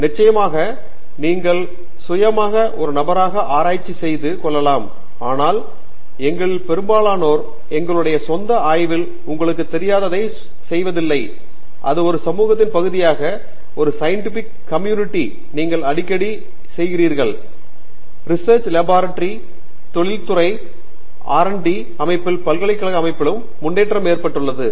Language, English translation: Tamil, Of course, you could do research on your own as an independent person but most of us are not doing that you know in our own lab hidden away from everybody, we do it as a part of a community, a scientific community which you often you know is thriving in university setting also in research labs and in industry, R and D setting and so on